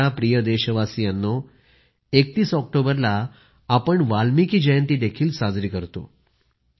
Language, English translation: Marathi, On the 31st of October we will also celebrate 'Valmiki Jayanti'